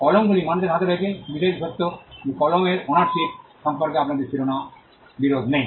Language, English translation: Bengali, And the fact that pens are possessed by people, we do not have title disputes with regard to ownership of pens